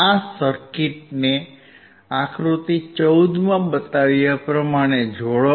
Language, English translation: Gujarati, So, connect this circuit as shown in figure 14